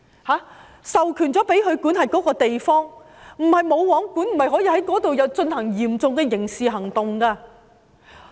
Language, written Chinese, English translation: Cantonese, 他們被授權管轄那個地方，大學不是"無皇管"的，學生不可以在校內進行嚴重的刑事行為。, Universities are not places ruled by no one and thus students cannot commit any serious crimes inside the campuses